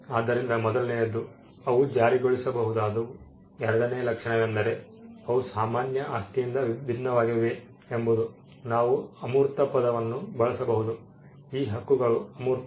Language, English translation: Kannada, So, the first thing is they are enforceable, the second trait is that they are different from normal property we can use the word intangible these rights are intangible